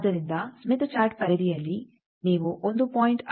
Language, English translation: Kannada, So, in the Smith Chart periphery you can find out what is 1